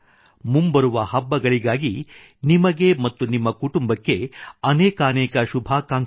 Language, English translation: Kannada, My best wishes to you and your family for the forthcoming festivals